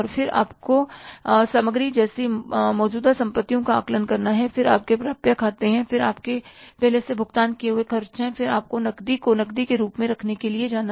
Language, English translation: Hindi, Then you will have to assess the current assets like inventory, then is your accounts receivables, then is your prepaid expenses, and then you have to go for the cash, keeping the cash as cash